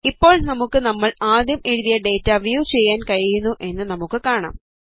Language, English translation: Malayalam, We see that we are now able to view all the data which we had originally written